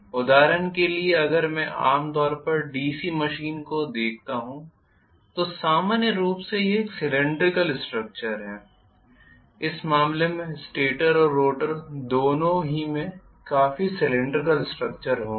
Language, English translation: Hindi, For example if I look at the DC machine generally it is a cylindrical structure the stator as well as the rotor will have fairly a cylindrical structure so in which case I am not going to get these two